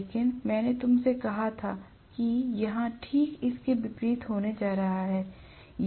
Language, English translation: Hindi, But I told you that here it is going to be exactly vice versa